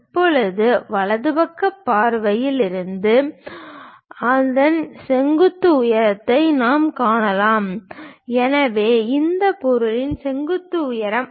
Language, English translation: Tamil, Now from the right side view, we can see the vertical height of that so the vertical height of this object is H